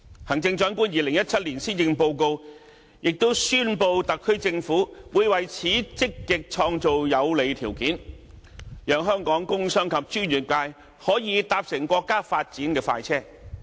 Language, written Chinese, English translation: Cantonese, 行政長官在2017年施政報告，亦宣布特區政府會為此積極創造有利條件，讓香港工商及專業界可以搭乘國家發展的快車。, In the 2017 Policy Address the Chief Executive has also announced that the SAR Government will proactively create favourable conditions for this cause so that the business and professional sectors can board the countrys express train of development